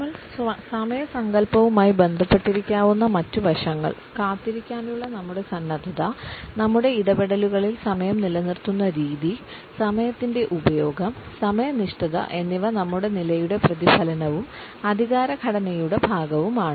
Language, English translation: Malayalam, Other aspects which may be associated with our concept of time is our willingness to wait, the way we maintained time, during our interactions and to what extent the use of time punctuality etcetera are a reflection of our status and a part of the power game